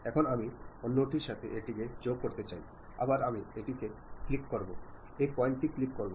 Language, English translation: Bengali, Now, I would like to join that one with other one, again I click that one, click that point